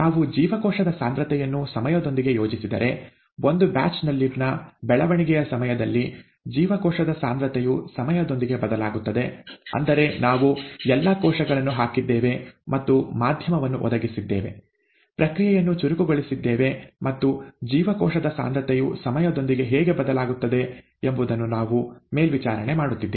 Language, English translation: Kannada, If we plot the cell concentration with time, the way the cell concentration varies with time during growth in a batch, that is we have dumped all the cells and provided the medium and so on so forth, staggering the process and we are monitoring how the cell concentration varies with time